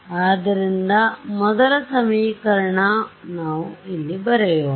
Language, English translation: Kannada, So, first equation so, let us write down over here